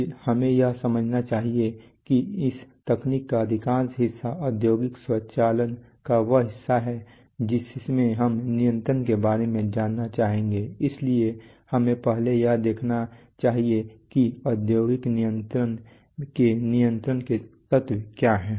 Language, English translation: Hindi, One before we do that, We must understand that much of this technology the much of the part of industrial automation that we are going to concern ourselves with is a, is actually about control, so we should first see what are the elements of control, of industrial control